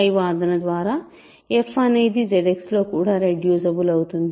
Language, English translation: Telugu, I claim that f X is also irreducible in Z X